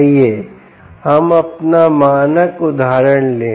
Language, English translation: Hindi, lets take our standard example, please recall